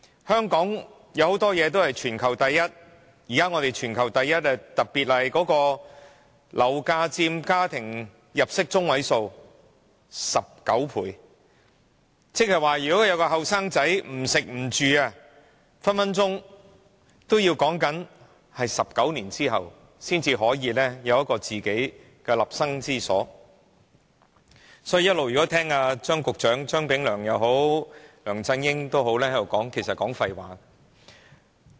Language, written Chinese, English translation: Cantonese, 香港有很多東西都是全球第一，現在我們的樓價是全球第一高，一名年輕人即使不吃不住，都要儲蓄19年才可以有一個自己的立身之所，所以張炳良局長和梁振英其實一直都在說廢話。, Hong Kong ranks first in the world in many aspects and our property price is also the top of the world . A young person has to save money for 19 years before he can buy a flat and settle down during which time he cannot spend any money on food or accommodation . Hence Secretary Anthony CHEUNG and LEUNG Chun - ying have been talking nonsense all the time